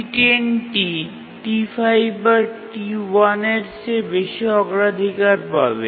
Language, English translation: Bengali, So, T10 will have higher priority than T5 or T1